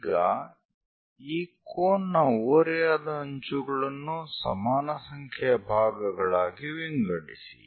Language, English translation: Kannada, Now divide this cone slant thing into equal number of parts